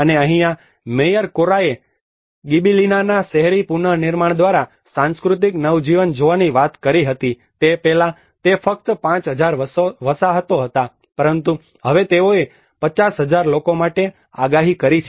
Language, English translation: Gujarati, And this is where the Mayor Corra have talked about looking at cultural renaissance through the urban reconstruction of Gibellina earlier it was only a 5000 habitants, but now they projected it for 50,000 people